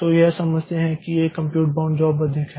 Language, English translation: Hindi, So, it understands that this is more of a compute bound job